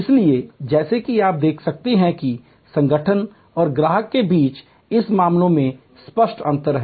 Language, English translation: Hindi, So, as you can see that is the clear distinction in this case between the organization and the customer